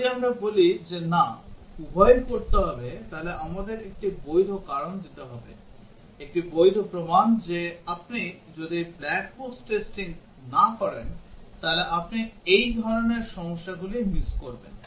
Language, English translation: Bengali, If we say that no, both have to be done then we have to give a valid reason, a valid evidence that if you do not do black box testing, you will miss out on these kind of problems